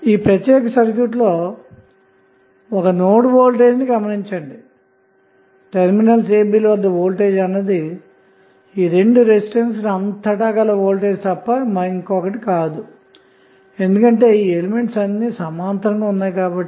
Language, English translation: Telugu, We will see that this particular circuit has 1 node the voltage across this particular circuit a, b would be nothing but the voltage across both of the resistances also because all those elements are in parallel